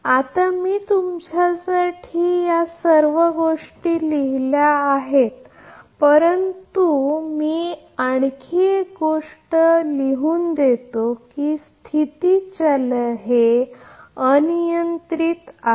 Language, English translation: Marathi, Now, I have written everything all this things for you, but let me write down all another thing is that the state variable is marked it is arbitrary